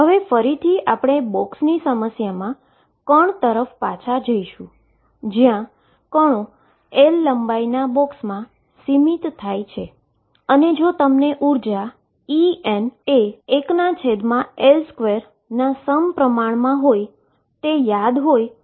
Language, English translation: Gujarati, Again we go back to particle in a box problem, where a particle was confined in a box of length L and if you recall this energy en was proportional to 1 over L square